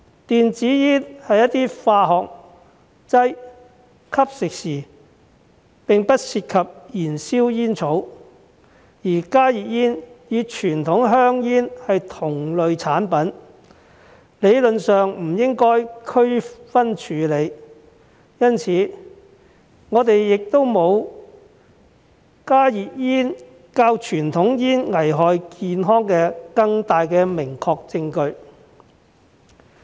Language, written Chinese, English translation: Cantonese, 電子煙是一些化學劑，吸食時並不涉及燃燒煙草，而加熱煙與傳統香煙是同類產品，理論上不應區分處理，因此，我們亦沒有加熱煙較傳統香煙更危害健康的明確證據。, E - cigarettes are some chemical substances which do not involve the burning of tobacco in the consumption process . On the other hand HTPs and conventional cigarettes are similar products which should not be subject to differentiated treatment theoretically . Therefore we do not have concrete evidence that HTPs are more hazardous to health than conventional cigarettes